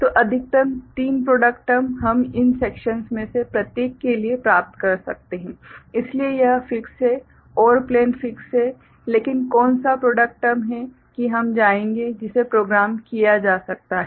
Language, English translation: Hindi, So, maximum three product terms we can get for each of these sections right, so that is fixed OR plane is fixed, but which product term that we will go – right, that can be programmed